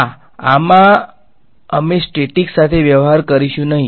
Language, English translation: Gujarati, Yeah in this we will not deal with static